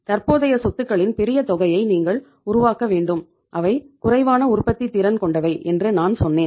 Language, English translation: Tamil, You have to create the large amount of current assets and I told you they are least productive